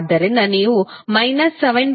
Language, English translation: Kannada, So, you will get minus 7